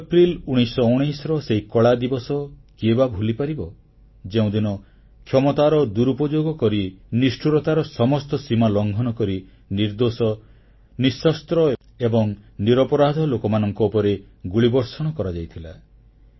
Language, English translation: Odia, Who can forget that dark day of April 13, 1919, when abusing all limits of power, crossing all the boundaries of cruelty; theguiltless, unarmed and innocent people were fired upon